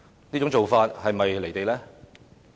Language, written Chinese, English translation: Cantonese, 這種做法是否"離地"呢？, Is it detached from reality in doing so?